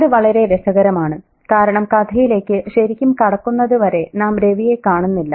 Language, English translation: Malayalam, And that's very interesting because we don't see Ravi until well into the story, right